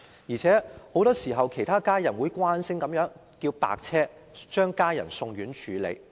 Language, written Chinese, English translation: Cantonese, 而且很多時候病人的家人會慣性地召喚救護車，將病人送院治理。, Moreover very often the patients family members will as a usual practice call an ambulance to send the patients to hospitals for treatment